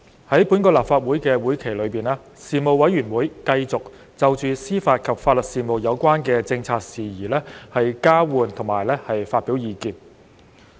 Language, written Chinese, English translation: Cantonese, 在本立法會會期內，事務委員會繼續就司法及法律事務有關的政策事宜交換及發表意見。, In this legislative session the Panel continued to provide a forum for the exchange and dissemination of views on policy matters relating to the administration of justice and legal services